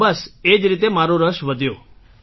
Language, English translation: Gujarati, So just like that my interest grew